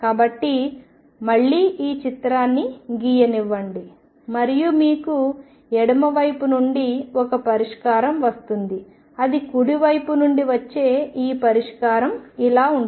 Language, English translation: Telugu, So, again let me make this picture and you have a solution coming from the left it could be like this solution coming from the right which could be like this